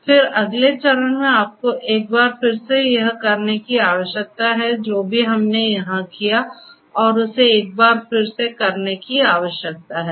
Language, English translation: Hindi, Then, the next step you need to perform in this one once again whatever we have done here needs to be performed once again